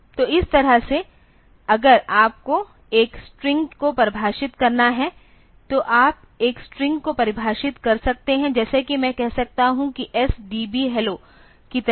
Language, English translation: Hindi, So, that way if you have to define a string; so, you can define a string like say I can say like S DB hello